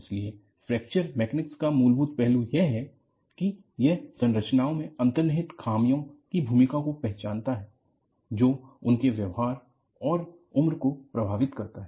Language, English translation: Hindi, So, the fundamental aspect of Fracture Mechanics is, it recognizes the role of inherent flaws in structures that affect their performance and life